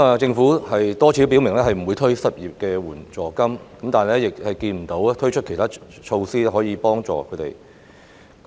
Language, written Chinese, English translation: Cantonese, 政府多次表明不會推出失業援助金，但亦沒有推出其他措施協助失業人士。, On the one hand the Government has repeatedly stated that no unemployment assistance will be introduced; on the other hand it has not taken other initiatives to help the unemployed